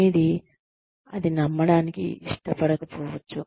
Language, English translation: Telugu, You may like to believe, that you are